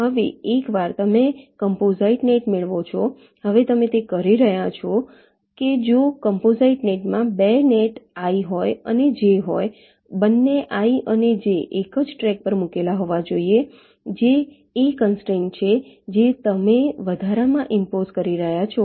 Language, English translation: Gujarati, now, once you get a composite net, now you are saying that if a composite net consist of two nets, i and j, both i and j must be laid out on the same track